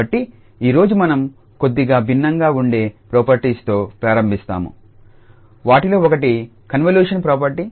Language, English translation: Telugu, So, today we will start slightly different properties that is one of them is the convolution property